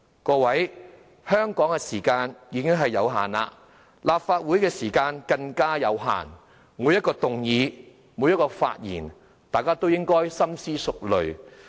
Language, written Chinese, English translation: Cantonese, 各位，香港的時間已有限，立法會的時間更有限，每項議案和發言，大家都要深思熟慮。, My fellow Members we do not have much time to waste in Hong Kong and time is even limited in the Legislative Council . Therefore we must think long and hard on every motion and speech